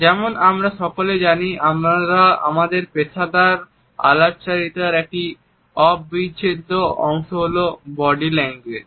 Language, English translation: Bengali, As all of us are aware, body language is an integral part of our professional communication